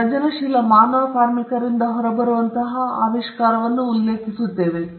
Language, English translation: Kannada, We refer to the invention as something that comes out of creative human labour